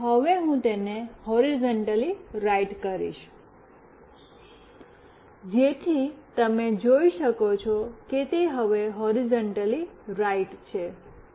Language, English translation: Gujarati, And now I will make it horizontally right, so you can see that it is now horizontally right